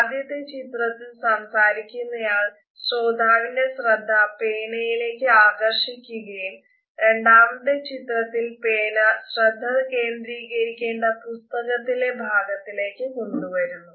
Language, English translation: Malayalam, As you can see in the 1st image the speaker is trying to ensure that the gaze is shifted towards the tip of the pen and then in the 2nd image the person has gradually brought the pen to the point in the book or the notebook where the person has to concentrate